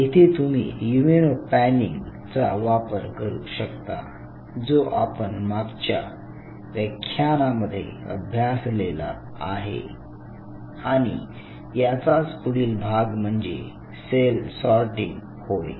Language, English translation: Marathi, Then you can follow something called an immuno panning what we have discussed in the last class, further a extension of the technique is cell sorting